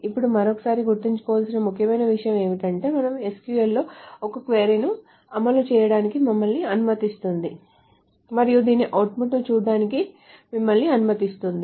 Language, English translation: Telugu, Now once more, this is an important point to remember is that the SQL lets you run a query and lets you see the output of this